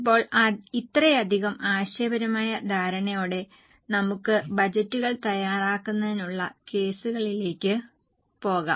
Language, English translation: Malayalam, Now with this much of conceptual understanding, let us go for cases for preparation of budgets